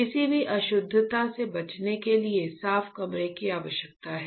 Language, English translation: Hindi, The requirement of the clean room is to avoid any impurities